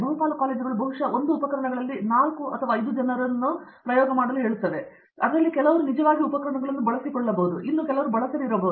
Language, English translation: Kannada, Most of the colleges probably run 4 or 5 people on 1 equipment's, some of them might be actually using it, and some of them might not using it